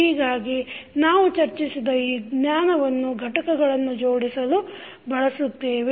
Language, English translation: Kannada, So, this knowledge we just discussed, we will utilized in connecting the components